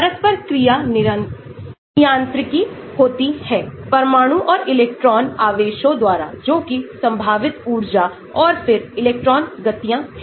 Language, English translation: Hindi, Interactions are governed by nuclear and electron charges that is the potential energy and then electron motions